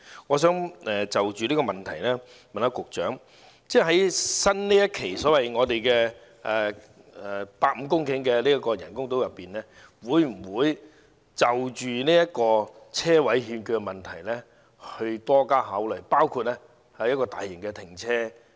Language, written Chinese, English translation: Cantonese, 我想就此向局長提問，在新一期所謂150公頃的口岸人工島上，會否就着車位欠缺的問題多加研究，例如興建大型停車場？, I would like to ask the Secretary whether more thought will be given to the shortage of parking spaces or the construction of a large - scale car park for example in the new phase of the 150 - hectare BCF Island